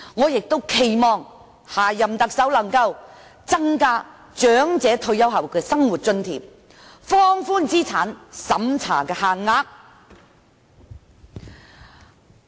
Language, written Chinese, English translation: Cantonese, 所以，我期望下一任特首能夠增加長者退休後的生活津貼，放寬資產審查限額。, Therefore I hope the next Chief Executive can increase the amount of living allowance granted to the elderly after their retirement and relax the asset limits